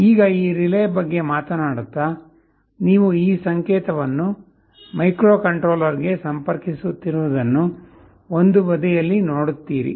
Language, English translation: Kannada, Now talking about this relay, you see on one side, you connect this signal to the microcontroller